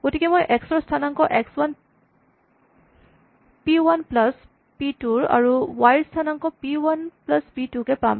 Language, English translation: Assamese, So, I get the x coordinate as x 1 p 1 plus p 2 and y coordinate p 1 plus p 2